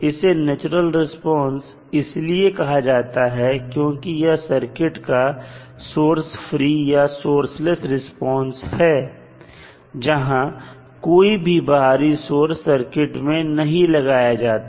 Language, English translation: Hindi, Why is it called as natural response; because it is a source free or source less response of the circuit where no any external source was applied